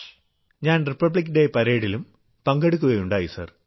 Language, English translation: Malayalam, And Sir, I also participated in Republic Day Parade